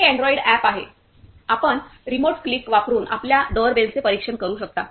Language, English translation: Marathi, This is the android app from here you can monitor your doorbell using the remote click